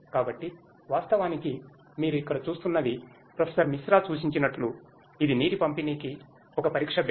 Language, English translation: Telugu, So, actually what you are seeing here is as Professor Misra suggested it is a test bed for water distribution